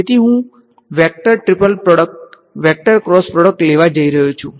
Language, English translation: Gujarati, So, I am going to take the vector triple product vector cross product